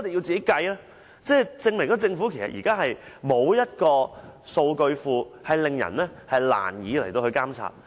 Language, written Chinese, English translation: Cantonese, 這證明政府現時沒有一個數據庫，令人難以監察。, This proves that the Government does not have a database making the public very difficult to monitor the Government